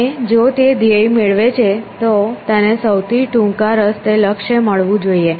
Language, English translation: Gujarati, And if it finds the goal it should have found a shortest path essentially goal